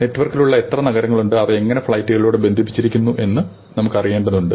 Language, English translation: Malayalam, We just need to know how many cities are there, which are on the network and how are they connected by the flights